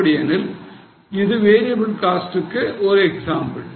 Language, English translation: Tamil, That means it is an example of variable cost